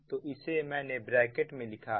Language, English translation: Hindi, i have just written in brackets: so this is the